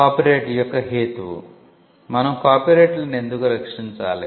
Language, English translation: Telugu, The rationale of copyright: Why should we protect copyrights